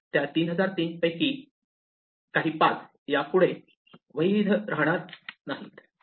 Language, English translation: Marathi, Out to those 3003 some paths are no longer valid paths